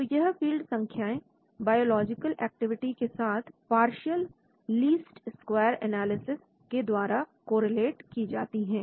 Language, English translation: Hindi, So these field values are correlated with the biological activity using partial least square analysis